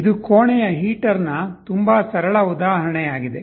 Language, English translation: Kannada, This is a very simple example of a room heater